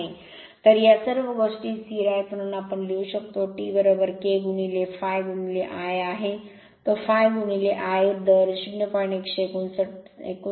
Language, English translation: Marathi, So, T all these things are constant, so we can write your T is equal to K into phi into I that is phi into I a rate 0